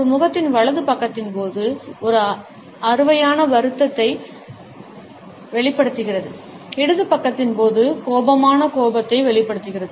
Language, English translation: Tamil, During the right side of a face reveals a cheesy grief, while during the left side reveals a angry frown